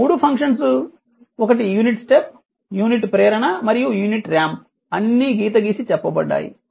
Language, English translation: Telugu, This 3 functions one is unit step the unit impulse and the unit ramp all are underlined right